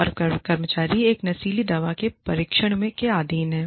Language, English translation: Hindi, And, the employee, subjected to a drug test